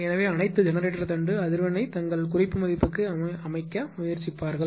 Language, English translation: Tamil, So, all the generator shaft; we will try, they will try to set that frequency to their reference value